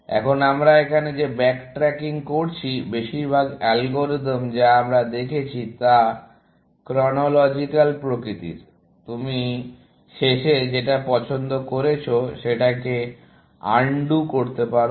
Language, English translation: Bengali, Now, the backtracking that we are doing here, in most of the algorithm that we have seen, is chronological in nature; that you undo the last choice that you make